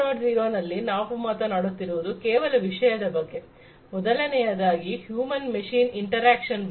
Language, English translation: Kannada, 0 we are talking about few things, first of all human machine interaction